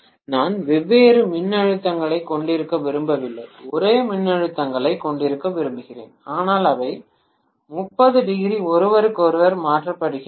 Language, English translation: Tamil, I do not want to have different voltages, I want to have the same voltages, but they are 30 degree shifted from each other